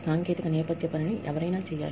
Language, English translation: Telugu, Somebody has to do the technical background work